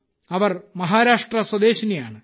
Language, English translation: Malayalam, She is a resident of Maharashtra